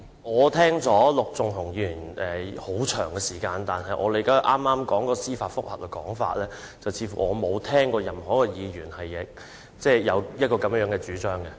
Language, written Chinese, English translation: Cantonese, 我聽了陸頌雄議員的發言很長時間，但據我理解，他剛才有關司法覆核的說法，我似乎沒有聽過任何一位議員有這樣的主張。, I have heard Mr LUK Chung - hungs speech for a long time but as far as I understand it regarding his remark about judicial review just now I do not seem to have heard any Member make such a proposition